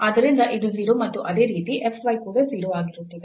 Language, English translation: Kannada, So, this is 0 and similarly the f y will be also 0